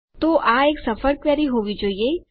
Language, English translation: Gujarati, So, that should be a successful query